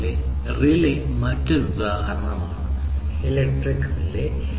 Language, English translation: Malayalam, Similarly, a relay is another example, electric relay